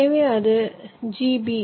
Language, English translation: Tamil, so it is g, b